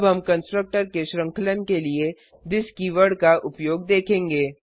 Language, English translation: Hindi, Now we will see the use of this keywords for chaining of constructor